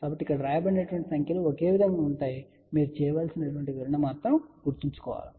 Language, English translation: Telugu, So, remember that the numbers which are written here will remain same; interpretation you have to do